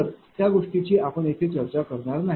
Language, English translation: Marathi, So, those things are not to be discussed here